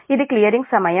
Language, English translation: Telugu, right, it is the clearing time